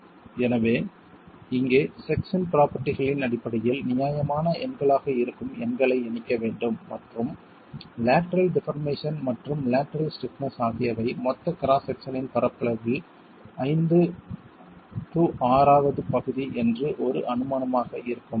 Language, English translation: Tamil, So here there are to plug in numbers that are reasonable numbers in terms of the sectional properties and be able to make an estimate of what the lateral deformation and lateral stiffness can be, an assumption that the shear area is about 5 sixth of the total area of the cross section, gross area of the cross section is an acceptable assumption